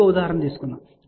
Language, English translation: Telugu, Let us take one more example